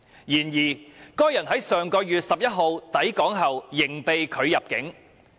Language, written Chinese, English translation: Cantonese, 然而，該人於上月11日抵港後仍被拒入境。, However that person was still refused entry upon his arrival in Hong Kong on the 11 of last month